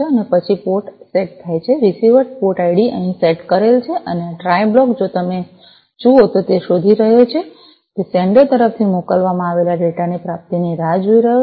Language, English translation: Gujarati, And then the port is set the receiver port id is set over here and this try block if you look at it is looking for, it is waiting for the receiving of the data from the that is sent from the sender